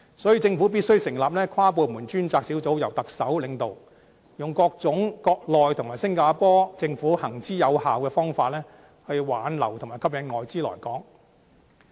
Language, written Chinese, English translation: Cantonese, 所以，政府必須成立跨部門專責小組，由特首領導，用各種國內和新加坡政府行之有效的方法，挽留和吸引外資來港。, The Government thus has to set up an interdepartmental task force led by the Chief Executive to keep and attract foreign capital in Hong Kong through various effective measures adopted by the Mainland authorities and the Singapore Government